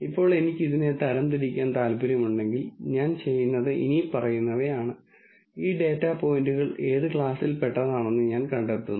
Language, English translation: Malayalam, Now if I want to classify this all that I do is the following, I find out what class these data points belong to